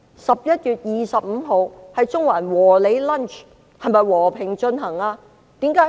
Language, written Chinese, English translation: Cantonese, 11月25日，中環的"和你 lunch" 是否和平進行？, On 25 November did the Lunch with you in Central proceed peacefully?